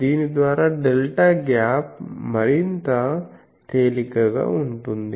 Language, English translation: Telugu, So, by that the delta gap can be more easily